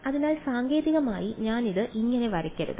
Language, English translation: Malayalam, So, technically I should not draw it like this